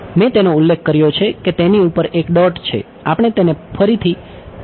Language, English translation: Gujarati, I have mentioned it this has a dot on top we will work it open it up later